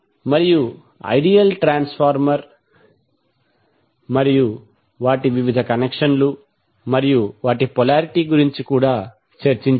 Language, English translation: Telugu, And also discussed about the ideal transformer and their various connections and the polarity